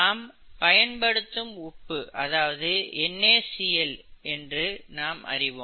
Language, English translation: Tamil, As we all know common salt is NaCl, okay